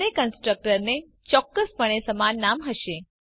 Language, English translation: Gujarati, Both the constructor obviously have same name